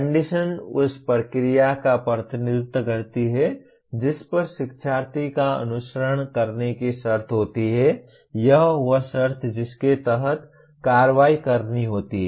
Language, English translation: Hindi, Condition represents the process the learner is expected to follow or the condition under which to perform the action